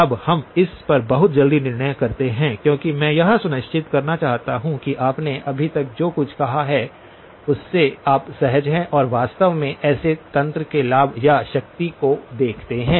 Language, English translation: Hindi, Now, let us build on this very quickly because I want to make sure that you are comfortable with what we have said so far and actually see the benefits or the power of such a mechanism